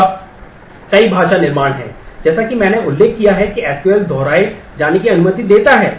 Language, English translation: Hindi, Now, there are several language constructs as I mentioned SQL does allow while repeat